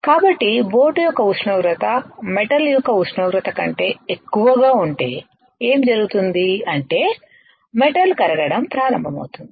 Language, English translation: Telugu, So, if this temperature which is the temperature of the boat is way higher than the temperature of metal, what will happen is the metal will start melting